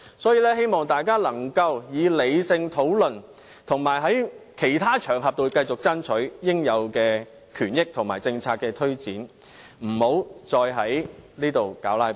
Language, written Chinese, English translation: Cantonese, 所以，我希望大家可以理性討論，以及在其他場合中，繼續爭取應有權益和政策推展，不要再在此"拉布"。, I guess Members can foresee the situation then . Therefore I hope Members can take part in rational discussion and duly fight for the rights and benefits or policies elsewhere instead of filibustering in the Council